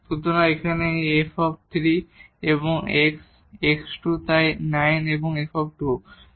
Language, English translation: Bengali, So, here this is f 3 and x x square so, 9 and f 2